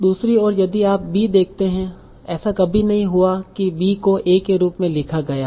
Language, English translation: Hindi, On the other hand, if you see B, it never happened that A B was written as A